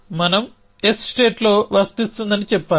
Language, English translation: Telugu, So we should say applicable in state s